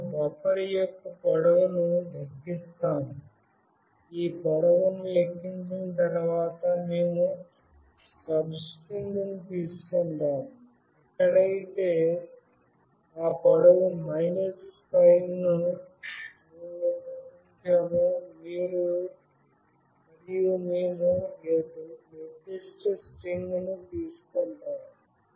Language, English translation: Telugu, After calculating the length, we take the substring, where we cut out that length minus 5, and we take that particular string